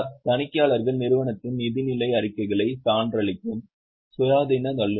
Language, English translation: Tamil, Auditors are independent professionals who certify the financial statements of the company